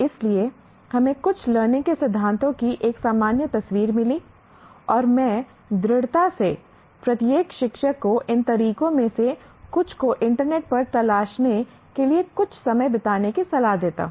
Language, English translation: Hindi, So we got a general picture of some learning theories and we, at least I strongly advise each teacher to spend some time to explore by himself or herself on the internet to have a feeling for some of these methods